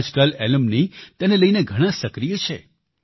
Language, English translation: Gujarati, Nowadays, alumni are very active in this